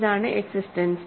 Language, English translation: Malayalam, So, this is the existence